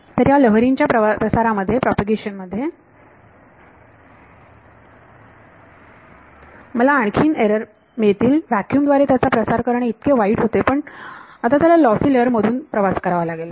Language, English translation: Marathi, So, I will get further errors in the propagation of this wave it was bad enough to propagate it through vacuum, but now it has to travel through this lossy layer